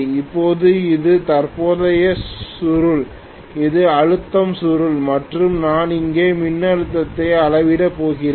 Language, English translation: Tamil, Now this is the current coil, this is the pressure coil and I am going to measure the voltage here